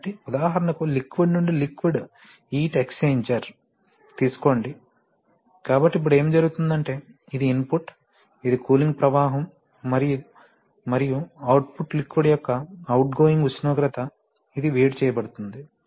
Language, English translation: Telugu, So, for example, take the case of a liquid to liquid heat exchanger, so what happens is that now, you know this is the input, which is the cooling flow and what is the output, the output is the outgoing temperature of the liquid which is being heated, let us say